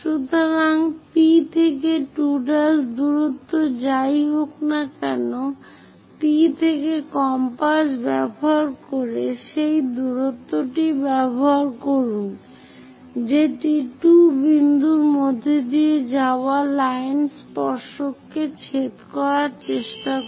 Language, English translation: Bengali, So, P to 2 prime distance whatever it is there use that distance using compass from P try to intersect the line tangent which is passing through 2 point